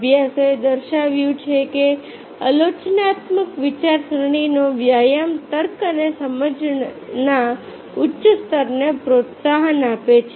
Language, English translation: Gujarati, studies have shown that exercising critical thinking fosters a higher level of reasoning and comprehension